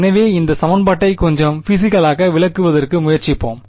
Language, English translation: Tamil, So, let us try to interpret this equation a little bit physically